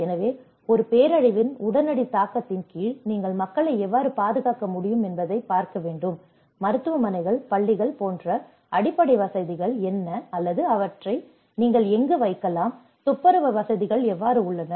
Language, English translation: Tamil, So, under the any immediate impact of a disaster one has to look at how you can safeguard the people, what are the facilities the basic like hospitals, schools or where you can put them, how the sanitation facilities